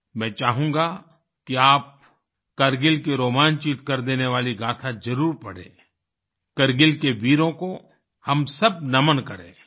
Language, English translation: Hindi, I wish you read the enthralling saga of Kargil…let us all bow to the bravehearts of Kargil